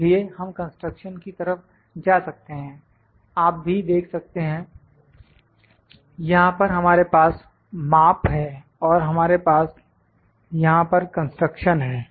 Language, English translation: Hindi, So, we can go to construction you can see we have measure here measure and we have construction here